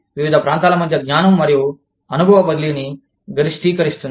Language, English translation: Telugu, Maximizing knowledge and experience transfer, between locations